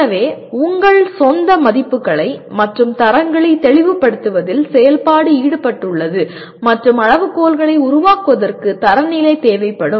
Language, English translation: Tamil, So the activity is involved in clarifying your own values and standards will be required for developing the criteria